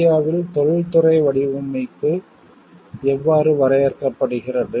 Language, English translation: Tamil, How is an Industrial design defined in India